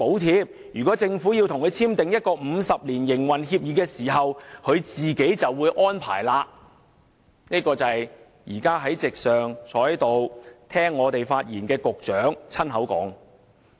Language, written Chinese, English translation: Cantonese, 因此，如果港鐵公司與政府簽訂50年營運協議，便會自行安排，這是現時在席聆聽我們發言的局長親口說的。, Therefore subject to the 50 - year Operating Agreement signed between MTRCL and the Government the former would make its own arrangements . This is exactly the remarks made by the Secretary who is now in the Chamber listening to our speeches